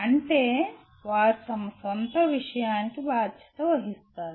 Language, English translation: Telugu, That means they are responsible for their own thing